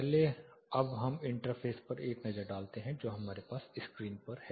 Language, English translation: Hindi, First now let us take a look at the interface what we have on screen